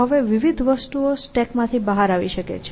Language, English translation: Gujarati, There are various things that can come out of the stack